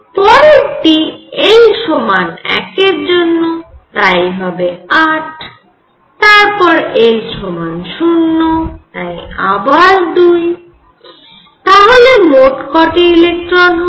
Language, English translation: Bengali, l equals 0 again is going to be 2, let us see the total number of electrons